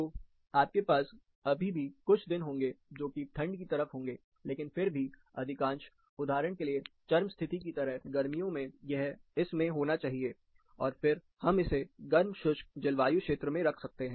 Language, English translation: Hindi, So, you will still have a few days which are on the colder side, but still majority, for example, of the extreme condition, like summer, it should be in this, and then we can term it as hot and dry